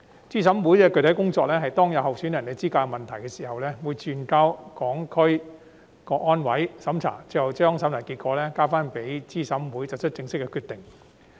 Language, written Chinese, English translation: Cantonese, 資審會的具體工作是當有候選人的資格出現問題時，會轉交香港特別行政區成立維護國家安全委員會審查，最後將審查結果交回資審會作出正式決定。, The specific duty of CERC is that in the event of an issue regarding the eligibility of a candidate the case will be referred to the Committee for Safeguarding National Security of HKSAR CSNS for review based on which CERC will make an official decision